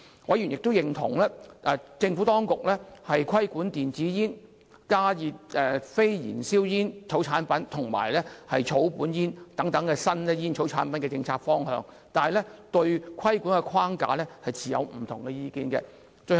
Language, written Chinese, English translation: Cantonese, 委員亦認同政府當局規管電子煙、加熱非燃燒煙草產品及草本煙等新煙草產品的政策方向，但對規管的框架持不同意見。, Members also approved of the Administrations policy direction of regulating novel cigarette and tobacco products such as electronic cigarettes heat - not - burn tobacco products and herbal cigarettes . But they held dissenting views on the regulatory framework